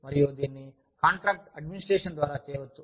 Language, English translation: Telugu, And, you could do this, through contract administration